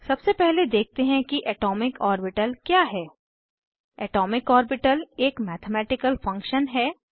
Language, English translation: Hindi, An atomic orbital is a mathematical function